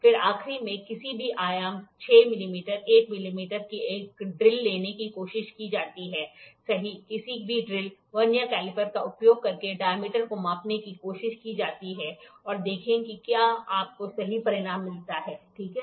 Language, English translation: Hindi, Then last one is try to take a drill of any dimension 6 millimeter 8 millimeter, right any drill try to measure the diameter using a Vernier caliper and see whether you get the results correct, ok